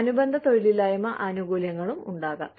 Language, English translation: Malayalam, Supplemental unemployment benefits also, can be there